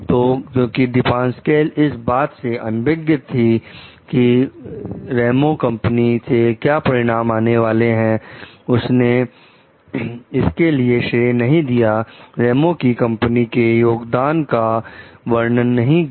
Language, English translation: Hindi, So, because Depasquale is unaware of the result which is coming from the Ramos s company, she has not like credited for this, mentioned the contribution of Ramos s company